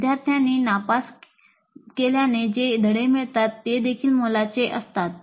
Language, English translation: Marathi, The lessons that the students draw from the failures are also valuable